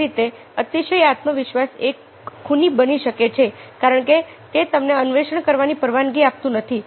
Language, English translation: Gujarati, similarly, over confidence can be a killer because that does not permit you to explore